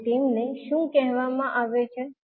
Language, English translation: Gujarati, And what they are called